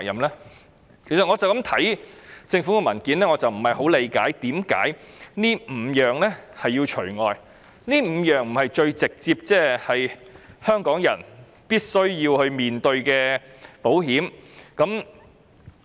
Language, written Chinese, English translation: Cantonese, "我單單看政府的文件不理解，為甚麼這5類要除外，這5類不是最直接香港人必須面對的保險項目嗎？, Simply by reading the Governments paper I do not understand why these five types of insurance have to be excluded . Are these five types of insurance not the most direct insurance items that Hong Kong people must face?